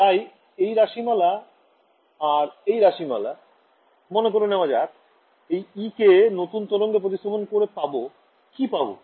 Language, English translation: Bengali, So, this expression and this expression, supposing I substitute the E in terms of this new waves that we have got, what do we get